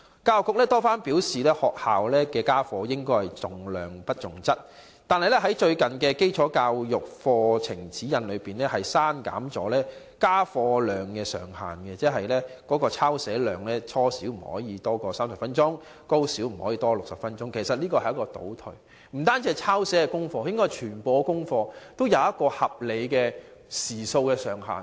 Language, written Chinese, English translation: Cantonese, 教育局多番表示，學校家課應重質不重量，但最近卻在"基礎教育課程指引"中刪去家課量上限，即初小的抄寫量不可多於30分鐘，高小不可多於60分鐘的規定，其實這是倒退的做法。, Although the Education Bureau has repeatedly stated that school homework should emphasize quality rather than quantity the maximum daily homework load has recently been removed from the Basic Education Curriculum Guide . Actually this is retrogression